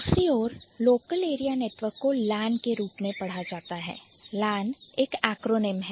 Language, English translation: Hindi, On the other hand, local area network read as LAN would be an acronym